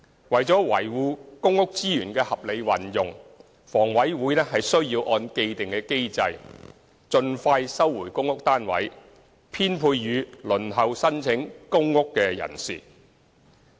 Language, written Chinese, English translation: Cantonese, 為了維護公屋資源的合理運用，房委會須按既定機制，盡快收回公屋單位，編配予輪候申請公屋的人士。, In order to safeguard the rational use of PRH resources HA has to recover the PRH units as soon as possible in accordance with the established mechanism so as to allocate such units to applicants awaiting allocation